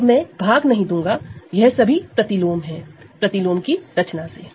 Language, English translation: Hindi, So, I will not by and these are inverses right by composing the inverse